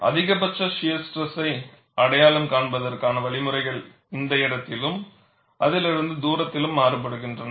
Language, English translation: Tamil, The mechanisms, of identifying the maximum shear stress differs in this place, as well as, at distance away from it